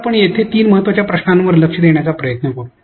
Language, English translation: Marathi, So, here we will try to address three important questions